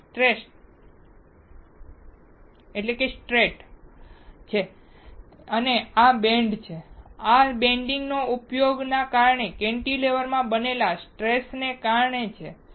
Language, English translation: Gujarati, This is straight and this is bent, this bending is because of the stress created in the cantilever because of the use